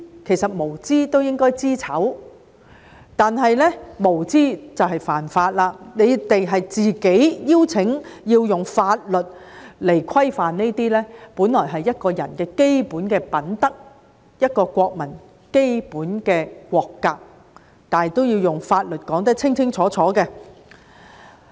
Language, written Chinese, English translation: Cantonese, 其實，他們無知都應該知醜，但這樣無知就是犯法，他們是自己"邀請"制定法律來規範這些本來是一個人的基本品德，一個國民的基本國格，但這樣也要用法律來說得清清楚楚。, In fact even though they are ignorant they should also have a sense of shame and such ignorance is tantamount to a violation of the law . They now invite the enactment of a law to regulate these basic virtues of a person or the basic national character and morals and even these have to be clearly specified through legislation